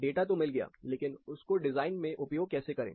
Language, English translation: Hindi, Numbers are good, but how do we translate them into design